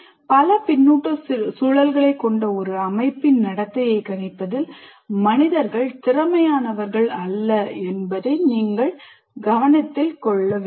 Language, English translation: Tamil, You should note that somehow human beings are not very good at what do you call predicting the behavior of a system that has several feedback loops inside